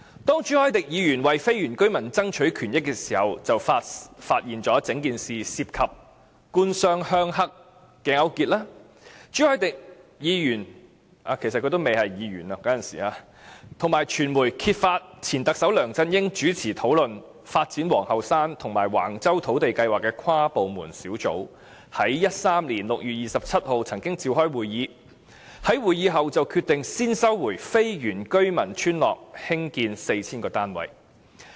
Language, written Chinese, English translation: Cantonese, 當朱凱廸議員為非原居民爭取權益時，便發現整件事涉及"官商鄉黑"勾結，朱凱廸議員及傳媒揭發前特首梁振英領導的討論發展皇后山及橫洲土地計劃的跨部門小組，曾於2013年6月27日召開會議，在會議後便決定先收回非原居民村落興建 4,000 個單位。, When Mr CHU Hoi - dick fought for the rights and interests of the non - indigenous residents he discovered that the whole incident involved government - business - rural - triad collusion . He and the media exposed that an interdepartmental task force led by former Chief Executive LEUNG Chun - ying to coordinate land development at Queens Hill and Wang Chau held a meeting on 27 June 2013 and after the meeting it was decided that three non - indigenous villages would be cleared first for building 4 000 units